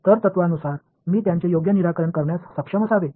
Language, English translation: Marathi, So, in principle I should be able to solve them right